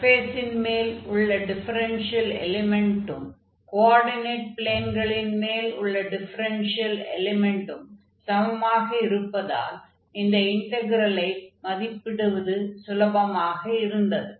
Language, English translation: Tamil, So, the integral was much simpler in this case because the differential element on the surface was equal to the differential element on the coordinate axis, on the coordinate planes